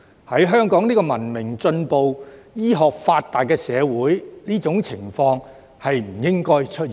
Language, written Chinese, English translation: Cantonese, 在香港這個文明進步、醫學發達的社會，這種情況不應該出現。, As Hong Kong is a civilized and advanced society with advanced medical technology such kind of situation should not happen here